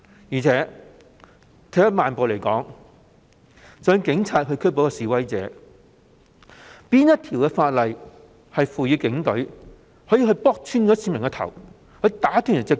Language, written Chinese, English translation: Cantonese, 而且，退一萬步來說，即使警方要拘捕示威者，究竟哪項法例賦權他們打穿市民的頭及打斷他們的腳？, In the worst case moreover even if the police had to arrest the protestors by which ordinance was the police empowered to punch people in the head that resulted in head injuries and break their legs?